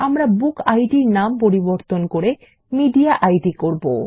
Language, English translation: Bengali, We will rename the BookId to MediaId